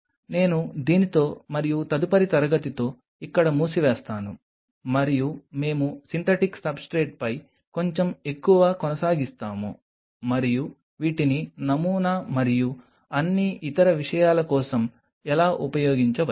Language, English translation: Telugu, I will close in here with this and next class we will continue little bit more on synthetic substrate and how these could be used for patterning and all other things